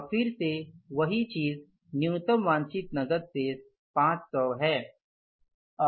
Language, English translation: Hindi, Now again same thing, minimum cash balance desired is how much